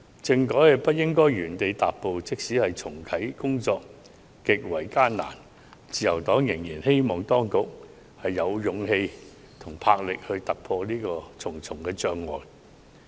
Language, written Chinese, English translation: Cantonese, 政改不應原地踏步，即使重啟工作極為艱難，自由黨仍然希望當局有勇氣和魄力，突破重重障礙。, The Liberal Party hopes that the authorities will have the courage and resolution to overcome all obstacles even if it is difficult to reactivate the constitutional reform